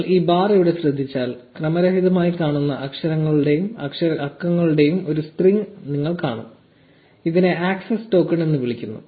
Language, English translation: Malayalam, If you notice this bar here, you will see a long random looking string of letters and numbers; this is called the access token